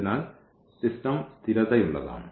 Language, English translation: Malayalam, So, the system is consistent